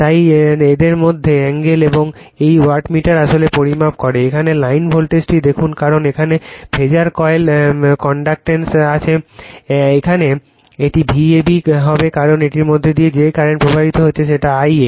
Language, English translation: Bengali, Therefore angle between this , and these wattmeter measures actually , looks the line voltage here because it is phasor coil is connected here it will V a b because right and the current flowing through this is I a